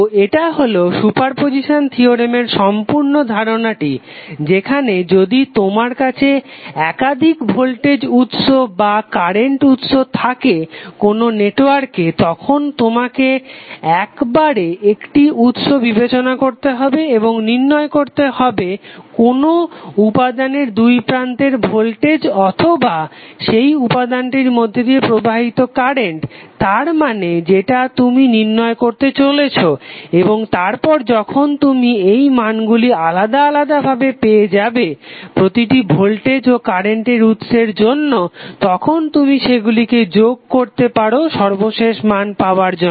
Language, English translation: Bengali, So this will give a complete property of super position theorem where if you have multiple voltage sources or multiple current sources in the network you have to take a 1 source at a time and find the voltage across a current through an element of your interest means the given element property which you want to find out and then when you get the variables value independently for each and individual voltage or current source you will add them up get the final value of the variable